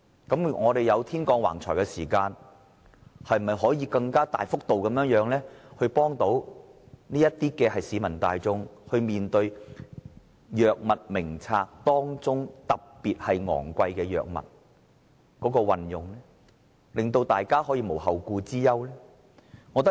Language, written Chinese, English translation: Cantonese, 既然政府"天降橫財"，他是否應該更大幅度資助市民大眾使用《藥物名冊》中特別昂貴的藥物，令大家可以無後顧之憂？, Given that the Government is now bestowed with such a large sum of unexpected fortune should it not allocate more extensively subsidize people to use the expensive medicine on the Drug Formulary and to relieve their concern?